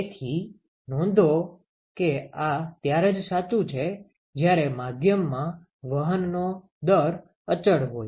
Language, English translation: Gujarati, So, note that this is true only when there is constant rate of heat transport in the media